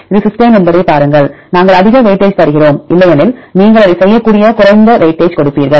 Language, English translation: Tamil, See if it is cysteine then we give more weightage otherwise you will give less weightage you can do that